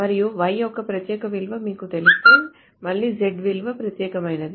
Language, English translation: Telugu, And if you know that unique value of y, again the value of z is unique